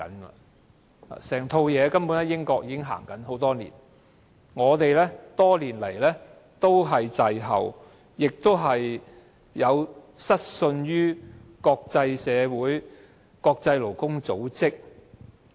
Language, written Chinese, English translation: Cantonese, 整套制度，英國已經實行多年，只是香港一直滯後，而且失信於國際社會和國際勞工組織。, Hong Kong has been lagging behind and has let down the international community and the International Labour Organization